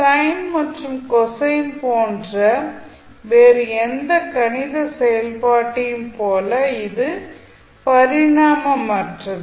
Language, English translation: Tamil, It is dimensionless like any other mathematical function such as sine and cosine